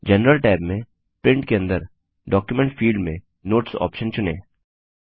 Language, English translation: Hindi, In the General tab, under Print, in the Document field, choose the Notes option